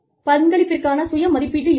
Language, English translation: Tamil, There could be self assessment of contribution